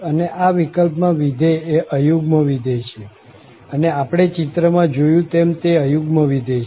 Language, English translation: Gujarati, And in this case, the function is an odd function as we have seen in the picture it is an odd function